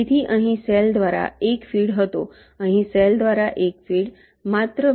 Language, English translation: Gujarati, so there was one feed through cell here, one feed through cell, here only two